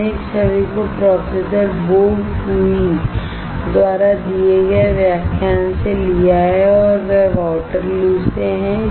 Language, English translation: Hindi, We have taken this image from the lecture given by Professor Bo Cui and he is from Waterloo